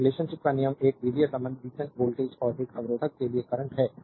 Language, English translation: Hindi, So, Ohm’s law is the algebraic relationship between voltage and current for a resistor